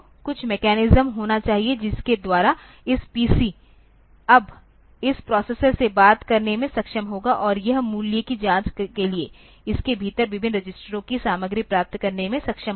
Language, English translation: Hindi, There must be some mechanism, by which this PC will be able to talk to this processor now and it will be able to get the content of various registers within it, for check the value